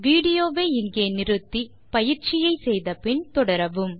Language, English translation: Tamil, Pause the video here and do this exercise and then resume the video